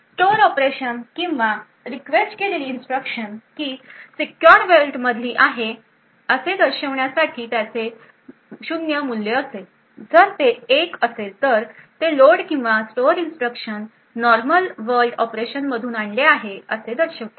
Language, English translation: Marathi, It would have a value of zero to indicate that the load of store operation or the instruction that is requested is from the secure world if it is 1 that bit would indicate that the load or store instruction fetch would be from a normal world operation